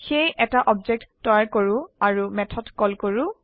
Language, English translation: Assamese, So let us create an object and call the method